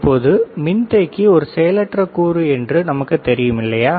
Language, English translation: Tamil, Now, capacitor as we know it is a passive component, right